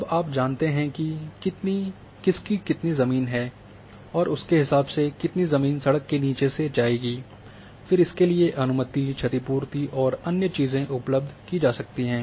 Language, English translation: Hindi, Now you exactly you know whose land and how much of their land will go under the road accordingly, then permissions and compensations and other things can be provided